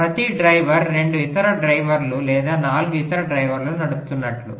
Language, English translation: Telugu, like every driver is driving two other drivers or four other drivers